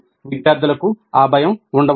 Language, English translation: Telugu, Students may have that fear